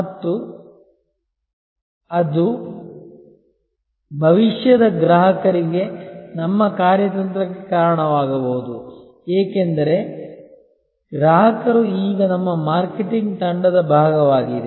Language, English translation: Kannada, And that can lead to our strategy for future customers, because the customer is now part of our marketing team